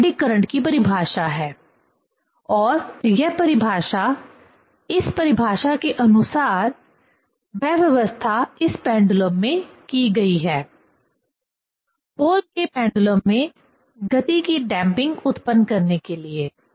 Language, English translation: Hindi, So, this is the definition of the eddy current and this definition, according to this definition, that arrangement is done in this pendulum, in Pohl